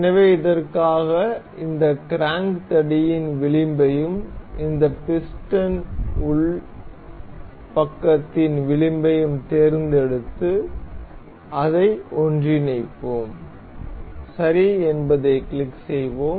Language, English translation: Tamil, So, for this we will select the edge of this crank rod and the edge of this piston inner side, and make it coincide, and we will click ok